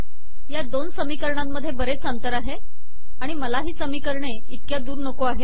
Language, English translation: Marathi, There is a large gap between the two equations and also we may want to align the equations